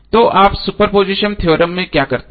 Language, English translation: Hindi, So what you do in superposition theorem